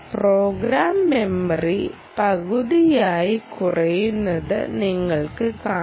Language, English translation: Malayalam, so you can see that program memory gets shorter by half, actually, right